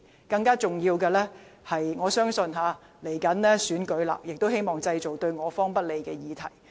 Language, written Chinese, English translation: Cantonese, 更重要的是，隨着選舉臨近，我相信他們希望製造對我方不利的議題。, More importantly as the election is drawing near I believe that they hope to create controversy unfavourable to our side